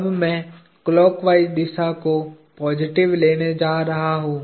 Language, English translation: Hindi, Now, I am going to take clock wise positive